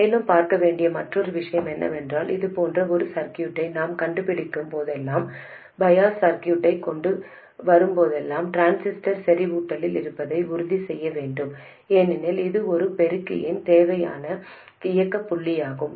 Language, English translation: Tamil, And also another thing to look at is whenever we invent a circuit like this, whenever we come up with a bias circuit, we have to make sure that the transistor remains in saturation because that is the desired operating point for an amplifier